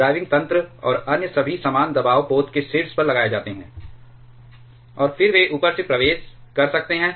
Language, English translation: Hindi, The driving mechanisms and all other accessories are mounted at the top of the pressure vessel, and then they can enter from the top